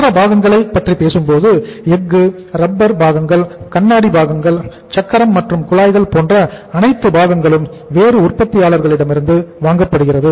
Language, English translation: Tamil, Other parts you talk about the steel, you talk about the rubber parts, you talk about the glass part, you talk about the say tyres, tubes everything they are they are supplied by the other manufacturers